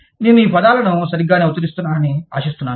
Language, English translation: Telugu, I hope, i am pronouncing these terms, right